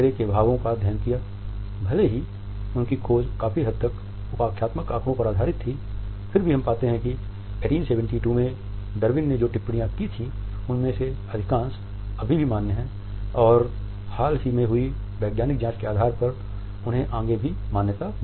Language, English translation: Hindi, Even though his finding was based on largely anecdotal data, we find that most of the comments which Darwin had made in 1872 are still valid and they have got further validation on the basis of more recent scientific investigation